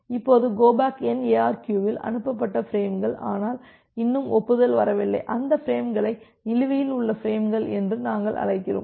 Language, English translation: Tamil, Now, in case of go back N ARQ the frames that have been transmitted, but not yet acknowledgement acknowledged those frames we call as the outstanding frames